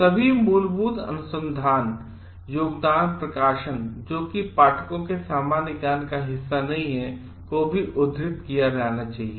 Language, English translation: Hindi, All foundational research contributions that are not a part of common knowledge for the leadership of the publication should also be cited